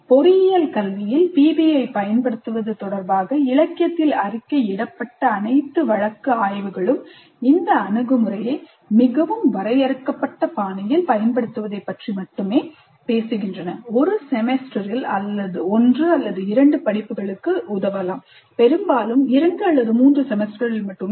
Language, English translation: Tamil, All the case studies reported in the literature regarding the use of PBI in engineering education only talk of using this approach in a very very limited fashion, probably to help one or two courses in a semester, most often only in two or 3 semesters